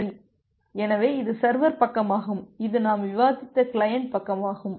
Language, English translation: Tamil, Well, so this is the server side and this is the client side that we have discussed